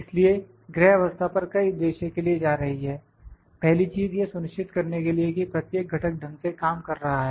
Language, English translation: Hindi, So, going to home position multiple purpose purposes is, one thing is it is made sure that each and every components of working properly